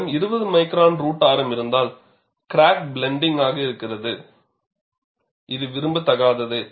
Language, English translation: Tamil, If we have 20 micron root radius, the crack is blunt, which is not desirable